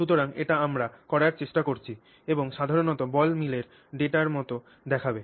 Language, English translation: Bengali, So, this is what we are trying to do and this is what typically ball mill data will look like